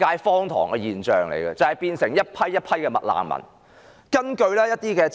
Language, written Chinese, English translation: Cantonese, 荒唐的是，一批又一批的"麥難民"因此"誕生"。, Paradoxically batches of McRefugees were being born in consequence